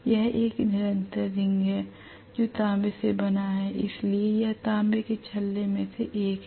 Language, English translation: Hindi, It is a continuous ring which is made up of copper, so this is going to be one of the copper rings